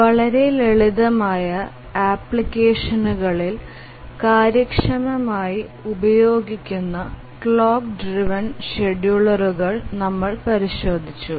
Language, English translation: Malayalam, So, so far we had looked at the clock driven schedulers which are efficient used in very simple applications